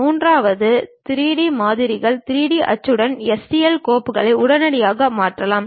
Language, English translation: Tamil, And the third one, the 3D models can readily converted into STL files for 3D printing